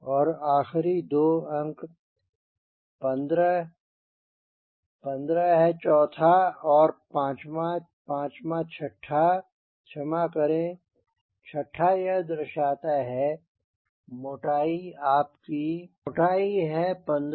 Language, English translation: Hindi, this fourth and fifth, fifth and sixth, sorry, fifth and sixth these represents your thickness is fifteen percent